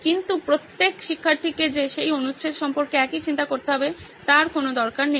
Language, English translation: Bengali, But every student need not necessarily be thinking the same thing about that paragraph